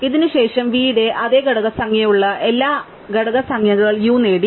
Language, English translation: Malayalam, So, after this everything which has the same component number as v as got the same components numbers u